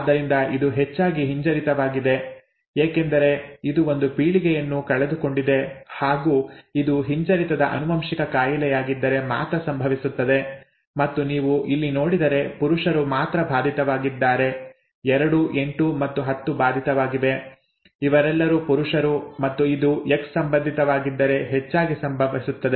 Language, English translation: Kannada, Therefore it is most likely recessive, right, since it has missed a generation that will happen only if it is a recessively inherited disorder and if you see here only males are affected, 2, 8 and 10 are affected, all are males and that will happen most likely if it is X linked, okay